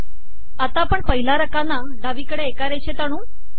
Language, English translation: Marathi, Let us make the first column left aligned